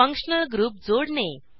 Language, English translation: Marathi, * Add functional groups